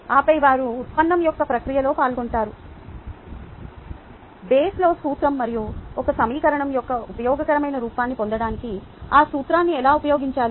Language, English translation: Telugu, ok, ah, and then they are involved in the process of the derivation itself, the basal principle and how to use that principle to get maybe a useful form of an equation they can be a part of